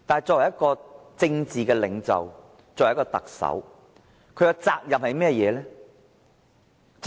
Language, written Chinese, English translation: Cantonese, 作為政治領袖，作為特首，他的責任是甚麼呢？, What is his obligation as a political leader as the Chief Executive?